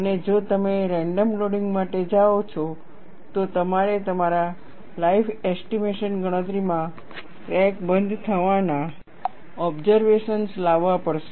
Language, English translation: Gujarati, And, if you go for random loading, you will have to bring in the observations of crack closure into your life estimation calculation